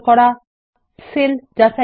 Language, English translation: Bengali, How to validate cells